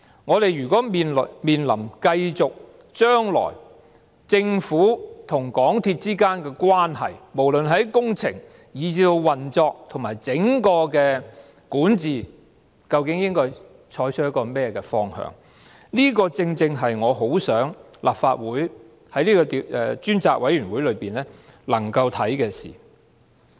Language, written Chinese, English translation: Cantonese, 我們面對將來政府和港鐵公司之間的關係，無論是在工程，以至運作和整體管治上，究竟應該採取甚麼方向，這正正是我很想立法會能夠透過專責委員會檢視的事。, As regards the future relationship between the Government and MTRCL whether in terms of construction projects operation and overall governance exactly what direction should be adopted? . It is the very matter that I hope the Legislative Council can examine through the select committee